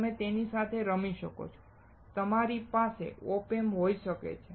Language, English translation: Gujarati, You can play with it, you can have OP Amps